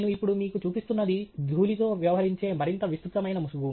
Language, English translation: Telugu, What I am now showing you is a much more elaborate mask which deals with dust